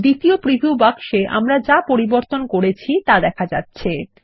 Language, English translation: Bengali, The second preview box next to the Color field shows the changes that we made